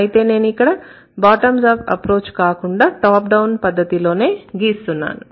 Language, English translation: Telugu, I am not going to draw it from bottom of approach, rather I will draw it from the top down model